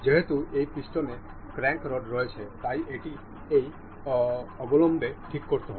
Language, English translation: Bengali, Because this piston has the crank rod has to be fixed in this zone